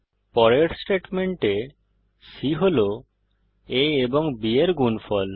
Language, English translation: Bengali, In the next statement, c holds the product of a and b